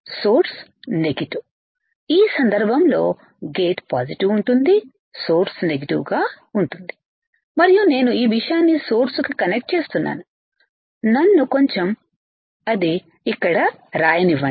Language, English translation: Telugu, Then in this case my gate would be positive, source would be negative and I am connecting this thing to the source, again let me just write it down here